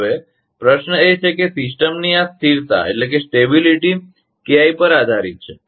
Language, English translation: Gujarati, Now, question is that, this stability of the system depends on KI